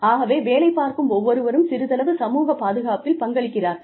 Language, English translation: Tamil, So, everybody, who is working, contributes a little bit towards, the social security